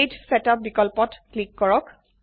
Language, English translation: Assamese, Click Page Setup option